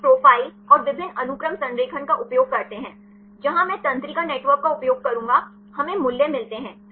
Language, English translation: Hindi, Then we use a profile and the multiple sequence alignments; where I will use neural network, we get the values